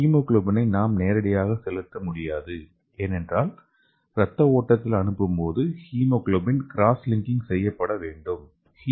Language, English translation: Tamil, So we cannot inject the hemoglobin directly because the hemoglobin must be cross linked when placed into the blood stream